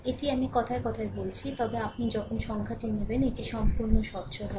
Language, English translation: Bengali, It is in words I am telling, but when you will take numerical, it will be totally transparent right